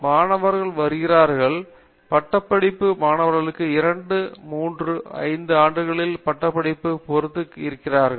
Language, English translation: Tamil, Students come in and they become graduate students here for may be say 2 years, 3 years, 5 years depending on their degree program